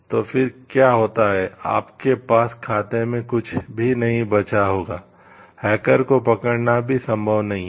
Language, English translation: Hindi, So, then what happens you will have you will have nothing left in the account, it is not possible even to get hold of the hacker